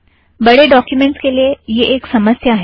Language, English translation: Hindi, This is a problem with large documents